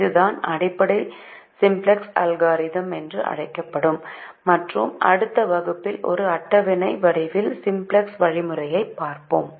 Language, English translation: Tamil, this is the bases of what is called the simplex algorithm, and we will see the simplex algorithm in the form of a table in the next class